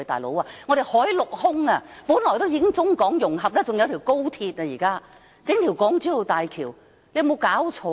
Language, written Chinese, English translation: Cantonese, 老兄，我們海陸空已做到中港融合，現在還有一條高鐵，還要興建一條港珠澳大橋，有沒有搞錯！, Buddies we are fully connected with the Mainland by land sea and air . We already have an express rail link and why do we still need to build the Hong Kong - Zhuhai - Macao Bridge? . What on earth is going on here?